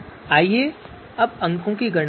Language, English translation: Hindi, Let us compute you know scores